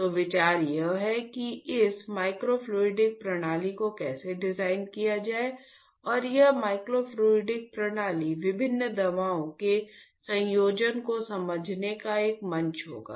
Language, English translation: Hindi, So, the idea is how to design this microfluidic system and this microfluidic system would be a platform to understand a combination of different drugs